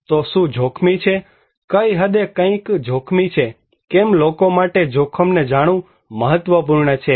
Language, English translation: Gujarati, So what is risky, what extent something is risky, why risky is important for people to know